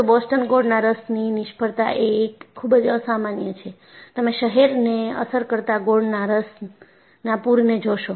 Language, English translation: Gujarati, But in Boston molasses failure, very unusual, you see a flood of molasses affecting the city